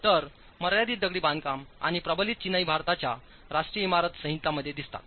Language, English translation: Marathi, So confined masonry and reinforced masonry appear in the national building code of India